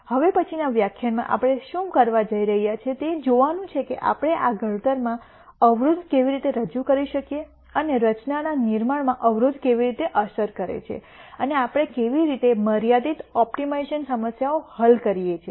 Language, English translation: Gujarati, What we are going to do in the next lecture is to look at how we can introduce constraints into this formulation, and what effect does a constraint have on the formulation and how do we solve constrained optimization problems